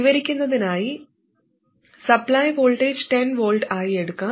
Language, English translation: Malayalam, Let's say the supply voltage is for illustration 10 volts